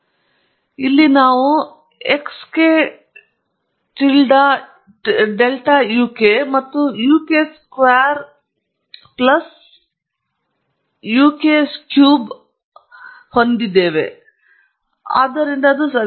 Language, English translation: Kannada, So, we have here xk tilda uk plus I uk square plus I of uk cube alright; so that’s it alright